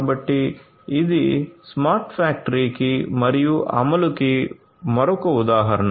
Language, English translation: Telugu, So, this is another example of smart factory and it is implementation